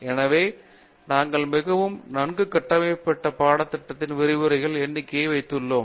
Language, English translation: Tamil, So, we have very, very well structured syllabi, very well structured time lines, number of lectures for each and so on